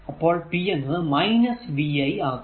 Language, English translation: Malayalam, So, p is equal to v i